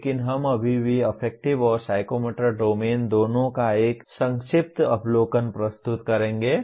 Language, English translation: Hindi, But we will still present a brief overview of both affective and psychomotor domain